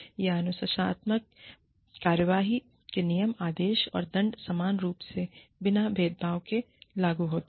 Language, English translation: Hindi, Where the rules, orders, and penalties, of the disciplinary action, applied evenhandedly, and without discrimination